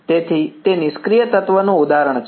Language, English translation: Gujarati, So, that is an example of a passive element